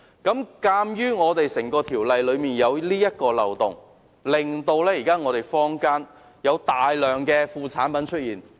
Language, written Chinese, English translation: Cantonese, 鑒於《條例》有這個漏洞，以致坊間有大量副產品出現。, Owing to this loophole in CMO the community has seen an abundance of by - products